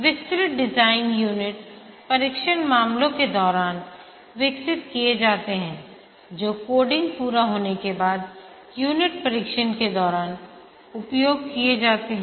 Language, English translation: Hindi, During the detailed design, the unit test cases are developed which are used during the unit testing after the coding is complete